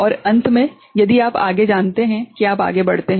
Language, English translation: Hindi, And finally, if you further you know move forward